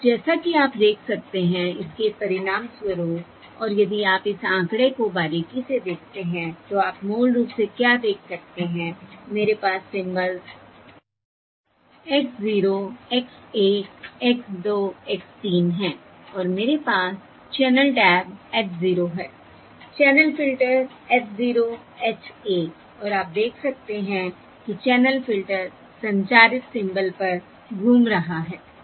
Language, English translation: Hindi, And now, as you can see, as a result of this and if you observe closely this figure, what you can see is basically I have the symbols X zero, X one, X two, X three, and I have the channel tabs H zero, the channel filter, H zero, H one